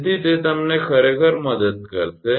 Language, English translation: Gujarati, So, that will help you actually